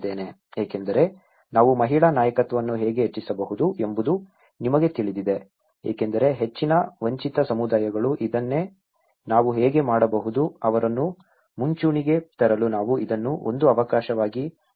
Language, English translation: Kannada, Because, how we can enhance the woman leaderships, you know because this is what most of the deprived communities, how we can, we have to take this as an opportunity to bring them into the frontline